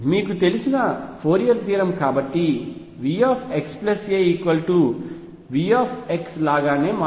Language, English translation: Telugu, That is by you know Fourier theorem therefore, V x plus a becomes same as V x